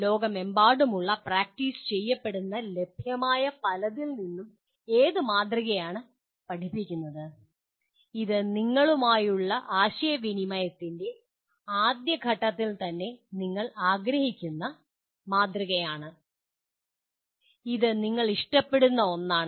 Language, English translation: Malayalam, Which model of teaching out of the many that are available, that are practiced around the world which is the model that you would like to rather at the first stage of your interaction with this which is the one that you would prefer